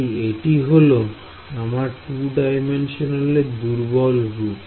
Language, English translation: Bengali, So, this is the 2D weak form question